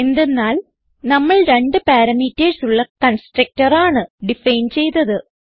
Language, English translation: Malayalam, This is simply because we have defined a constructor with two parameters